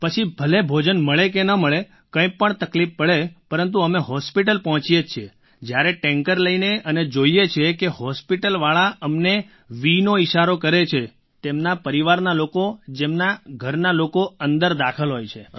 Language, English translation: Gujarati, Whether one gets to eat or not…or facing any other problem…when we reach hospital with the tanker, we see people at the hospital there gesturing at us with a V sign…people whose family members are admitted